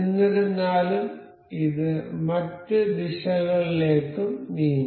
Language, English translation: Malayalam, However, this can also move in other directions as well